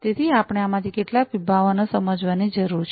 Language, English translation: Gujarati, So, we need to understand some of these different concepts